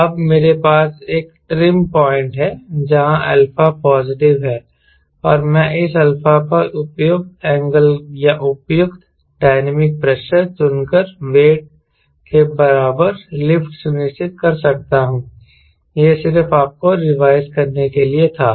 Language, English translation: Hindi, so now i have a trim point where alpha is positive and i can ensure lift equal to weight by choosing appropriate angle or appropriate dynamic pressure at this alpha